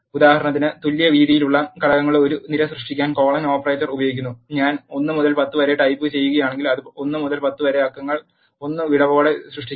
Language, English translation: Malayalam, Colon operator is used to create an array of elements with equal width for example, if I type in 1 to 10 it will create numbers from 1 to 10 with gap of 1